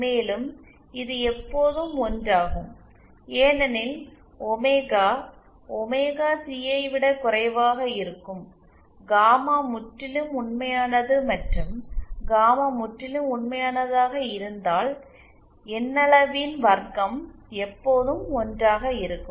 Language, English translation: Tamil, and this is always one because when omega is lesser than omega c, gamma is purely real and if gamma is purely real than the magnitude square will always be one